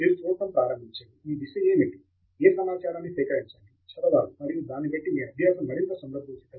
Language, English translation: Telugu, You start seeing, where what your direction is, what material to read up, and your learning becomes more contextual